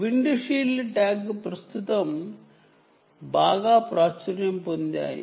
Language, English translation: Telugu, currently, windshield tags are become very popular